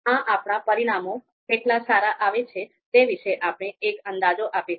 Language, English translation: Gujarati, So this will give us an idea about how good our results are